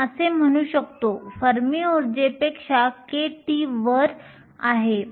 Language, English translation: Marathi, Let us say, we are k t above the Fermi energy